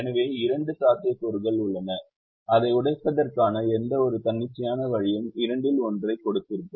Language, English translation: Tamil, so there are two possibilities and any arbitrary way of breaking it would have given one out of the two